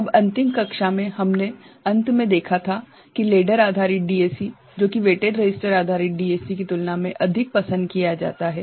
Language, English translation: Hindi, Now, in the last class, towards the end we had seen that the ladder based DAC, which is more preferred compared to weighted resistor based DAC